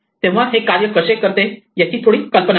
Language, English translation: Marathi, So, just to get a little bit of an idea about how this is would work